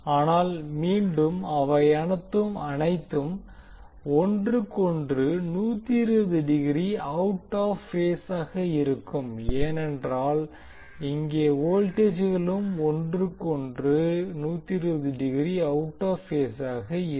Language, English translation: Tamil, So now here you can say that these currents have the same magnitude but these will be out of phase with each other by 120 degree because these voltages are out of phase with each other by 120 degree